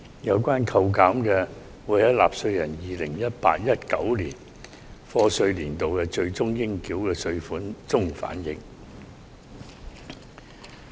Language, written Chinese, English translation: Cantonese, 有關扣減會在納稅人 2018-2019 課稅年度的最終應繳稅款中反映。, The reductions will be reflected in taxpayers final tax payable for the year of assessment 2018 - 2019